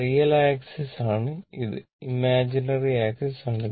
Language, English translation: Malayalam, This is real axis, this is imaginary axis, right